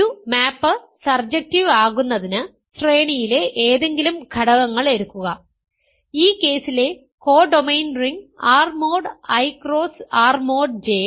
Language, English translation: Malayalam, Right in order for a map to be surjective take any element in the range, the co domain ring in this case R mod I cross R mod J, every element is in the range